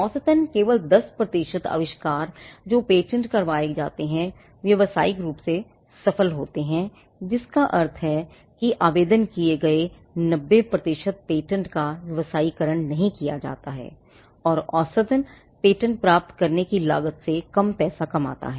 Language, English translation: Hindi, On an average only 10 percent of the inventions that are patented become commercially successful, which means 90 percent of the patent that have been filed are not commercialized and average patent earns less money than it cost to get it